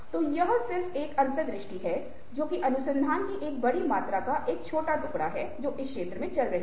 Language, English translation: Hindi, so this is just an insight, just a fragment of ah huge amount of research which is going on in the field